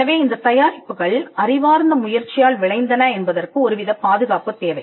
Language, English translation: Tamil, So, the fact that these products resulted from an intellectual effort needed some kind of a protection